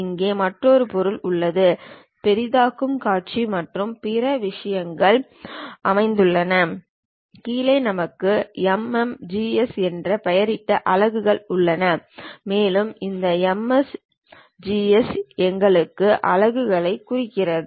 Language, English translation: Tamil, There is another object here Zoom, Views and other things are located, and bottom we have units something named MMGS and this MMGS represents our units